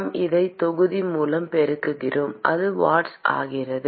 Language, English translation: Tamil, We multiply it by volume, it becomes watts